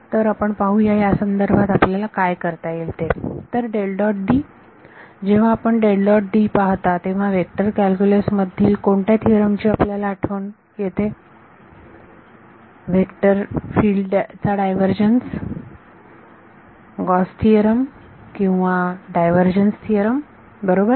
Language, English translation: Marathi, So, let us see what should be do about this, so del dot D; when you see del dot D what is it remind you of in which theorem of vector calculus comes to your mind, divergence of a vector field; Gauss’s theorem or divergence theorem right